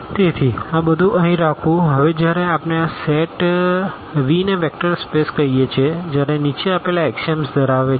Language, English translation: Gujarati, So, having all these here; now when do we call this set V a vector space when the following axioms hold